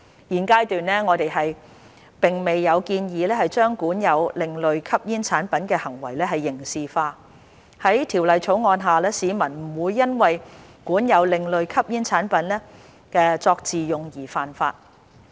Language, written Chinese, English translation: Cantonese, 現階段，我們並未有建議將管有另類吸煙產品的行為刑事化，在《條例草案》下，市民不會因為管有另類吸煙產品作自用而犯法。, At this stage we do not propose to criminalize the possession of ASPs and under the Bill a person will not commit an offence for possessing ASPs for personal use